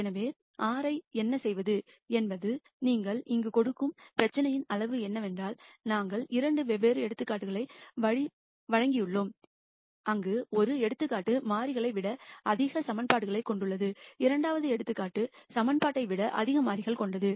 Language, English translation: Tamil, So, what R does is whatever size of the problem you give here we have given 2 di erent examples, where one example has more equations than variables the second example has more variables than equation